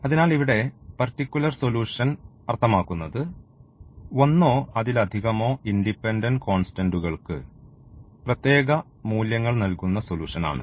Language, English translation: Malayalam, So, here the particular solution means the solution giving particular values to one or more of the independent constants